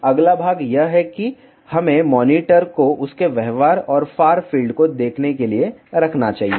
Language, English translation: Hindi, Next part is we should place the monitor just to see its behavior and far field